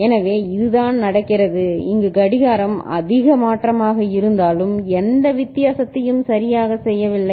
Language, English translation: Tamil, So, this is what is happening, even if the clock is high change over here is not making any difference right